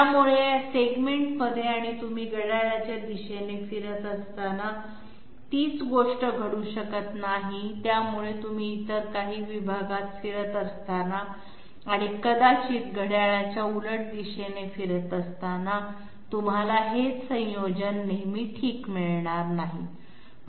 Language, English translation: Marathi, So the same thing might not occur in this segment or this segment and while you are moving, say here we are moving counterclockwise while you are moving sorry, we are moving clockwise, so while you are moving in some other segment and maybe moving counterclockwise, you might not always get this same combination okay